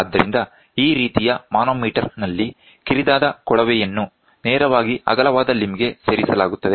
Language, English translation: Kannada, So, in this type of manometer, a narrow tube is inserted directly into the wider limb